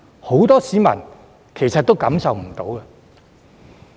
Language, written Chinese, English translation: Cantonese, 很多市民也未感受到。, Many members of the public have not yet felt this